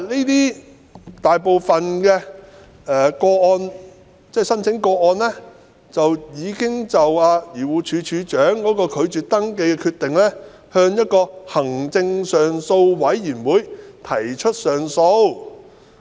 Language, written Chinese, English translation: Cantonese, 大部分遭拒絕的申請已經就漁護署署長拒絕登記的決定向行政上訴委員會提出上訴。, Most of the rejected applications had lodged appeals against DAFCs refusal with the Administrative Appeals Board AAB